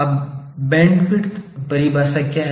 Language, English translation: Hindi, Now, what is bandwidth definition